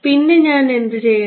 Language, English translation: Malayalam, Then what should I do